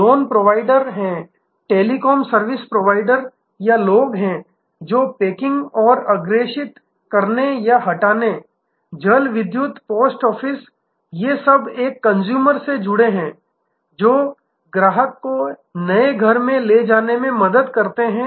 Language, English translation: Hindi, There are loan providers, there are telecom service providers or people, who will help to do packing and forwarding or removals, water, electricity, post office, all of these are related for a customer, enabling a customer to move to a new house